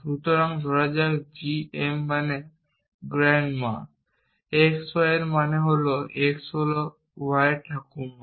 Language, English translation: Bengali, So, let say g m stands for grand ma x y and let say this means that x is the grandmother of y implies